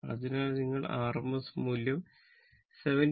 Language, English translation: Malayalam, So, if you take the rms value 70